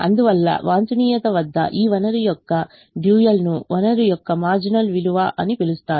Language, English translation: Telugu, therefore this resource, the dual, is called marginal value of the resource at the optimum